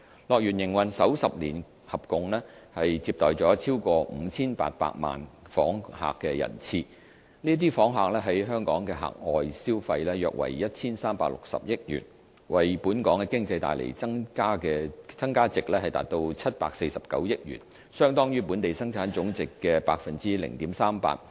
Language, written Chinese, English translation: Cantonese, 樂園營運首10年合共接待了超過 5,800 萬訪客人次，這些訪客在港的額外消費約為 1,360 億元，為本港經濟帶來的增加值達749億元，相當於本地生產總值的 0.38%。, In its first 10 years of operation HKDL has received over 58 million guests . Their additional spending in Hong Kong was around 136 billion which generated 74.9 billion of total value - added for Hong Kongs economy equivalent to 0.38 % of Hong Kongs Gross Domestic Product